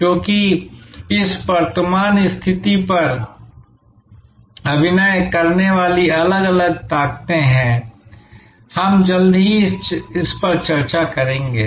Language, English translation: Hindi, Because, there are different forces acting on this current position, we will discuss that shortly